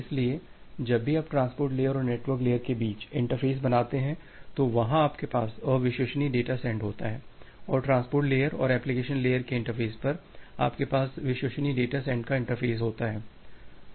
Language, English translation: Hindi, So, whenever you are making a interfacing between the network layer at the transport layer, there you have this unreliable data send and at the interface of transport layer and the application layer, you have the interface of reliable data send